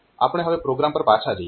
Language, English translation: Gujarati, So, if we go back to the program